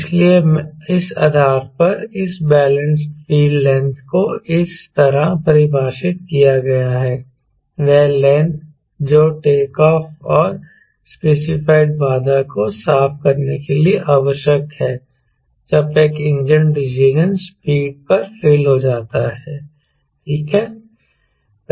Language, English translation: Hindi, so based on that, this balanced feed length is defined as is the length required to takeoff and clear the as specified obstacle when one engine fails exactly at decision some speed